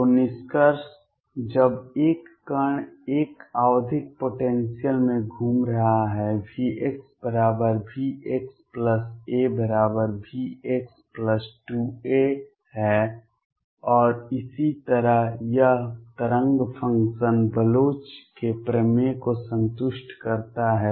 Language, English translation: Hindi, So, conclusion when a particle is moving in a periodic potential, V x equals V x plus a is equal to V x plus 2 a and so on, it is wave function satisfies the Bloch’s theorem